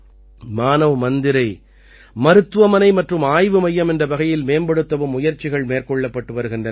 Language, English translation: Tamil, Efforts are also on to develop Manav Mandir as a hospital and research centre